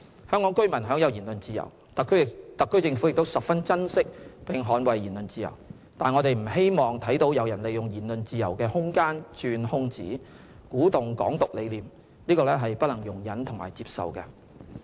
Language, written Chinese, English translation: Cantonese, 香港居民享有言論自由，特區政府也十分珍惜並捍衞言論自由，但我們不希望看到有人利用言論自由的空間鑽空子，鼓動"港獨"理念，這是不能容忍和接受的。, Free speech while enjoyed by Hong Kong people and cherished and safeguarded by the Government should not be abused to promote Hong Kong independence which is intolerable and unacceptable